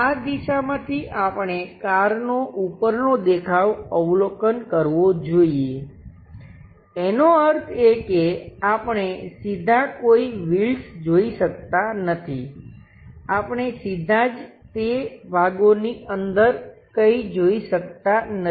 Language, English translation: Gujarati, From this direction, we have to observe the top view of the car, that means, we cannot straight away see any wheels, we cannot straight away see anything like these inside of that parts